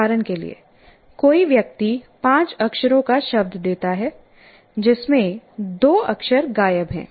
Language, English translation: Hindi, For example, somebody gives you a word, a five letter word, in which two letters are missing